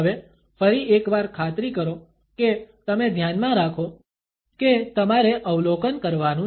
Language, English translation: Gujarati, Now, once again make sure you keep in mind that you are supposed to observing